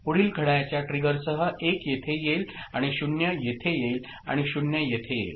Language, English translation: Marathi, With next clock trigger, 1 comes here right and this 0 comes over here and this 0 comes over here ok